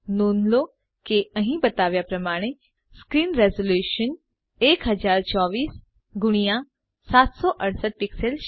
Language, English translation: Gujarati, Please note that the screen resolution shown here is 1024 by 768 pixels